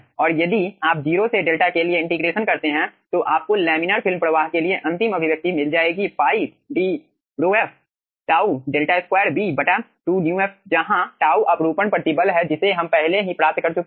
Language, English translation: Hindi, okay, and if you do this derivation of the integration from 0 to delta, you will be getting the final expression for the laminar film flow is pi d rho f, tau, delta, square by 2, mu f, where tau is the shear stress we have already derived